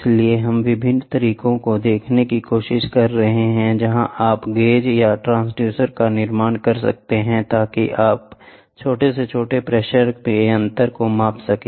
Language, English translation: Hindi, So, we are trying to see various ways where in which you can build up gauges or transducers such that you can measure small differential pressure